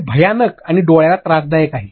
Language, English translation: Marathi, This is a terrible and eye sour